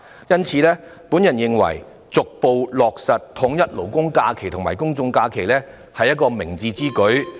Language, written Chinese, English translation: Cantonese, 因此，我認為逐步落實統一勞工假期和公眾假期是明智之舉。, Thus I think it would be wise to gradually align labour holidays with general holidays